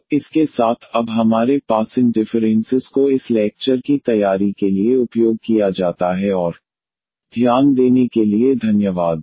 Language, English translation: Hindi, So, with this, now we have these differences used for preparing this lectures and Thank you for your attention